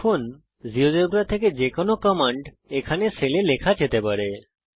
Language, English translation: Bengali, Now any command from the geogebra can be typed in a cell here